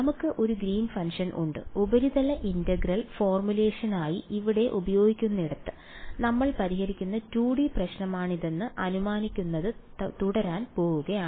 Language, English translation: Malayalam, So, we have a Green’s function that where using over here for the surface integral formulation, we are keeping we are going to continue to assume that is the 2D problem that we are solving